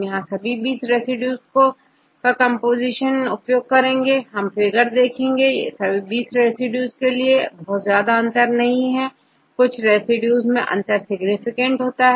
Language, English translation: Hindi, Also here now use the composition of all 20 residues, but if we look into this figure all 20 residues are not showing very high difference, only some residues the difference is significant